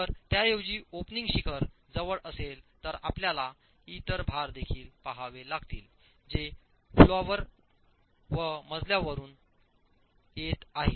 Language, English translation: Marathi, If instead the opening is close to the apex you will have to look at other loads as well coming from the floor and coming from the story above